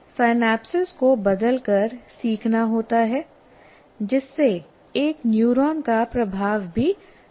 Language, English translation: Hindi, Learning occurs by changing the synapses so that the influence of one neuron on another also changes